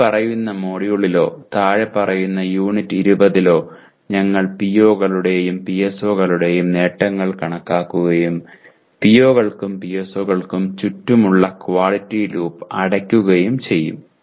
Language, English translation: Malayalam, And in the following module or following unit 20, we will be computing the attainment of POs and PSOs and close the quality loop around POs and PSOs